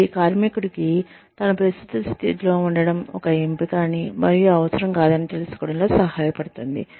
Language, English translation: Telugu, It helps the worker, know that, staying in his or her current position, is an option, and not a requirement